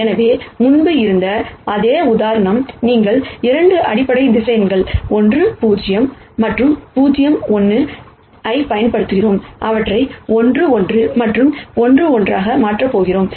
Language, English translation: Tamil, So, the same example as before, where we had used 2 basis vectors 1 0 and 0 1, I am going to replace them by 1 1 and 1 minus 1